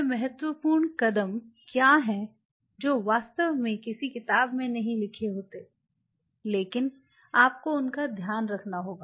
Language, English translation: Hindi, What are those critical steps which will not be really written in a book, but you kind of have to keep in mind how to move